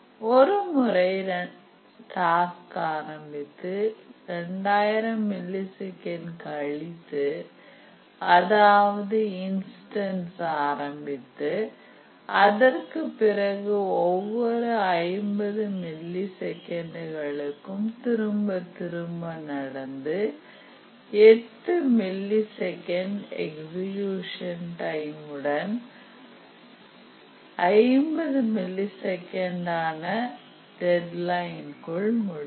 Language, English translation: Tamil, And then once the task starts the first instance of the task starts after 2,000 milliseconds and then it periodically recurs every 50 milliseconds and the execution time may be 8 milliseconds and deadline is 50 milliseconds